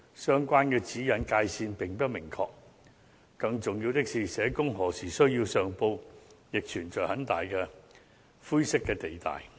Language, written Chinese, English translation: Cantonese, 相關指引界線並不明確，更重要的是，社工何時需要上報亦存在很大的灰色地帶。, The guidelines are not clear and there are grey areas as to when social workers should make the report